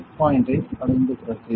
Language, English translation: Tamil, After reaching that set point